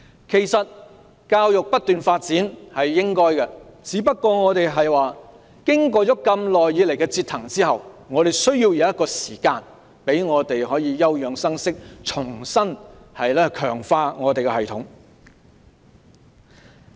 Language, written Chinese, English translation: Cantonese, 其實，教育不斷發展是應該的，只不過經過長久以來的折騰，我們需要時間休養生息，重新強化我們的系統。, As a matter of fact education should be developed continuously but after a long period of torment we need time to recuperate and strengthen our system again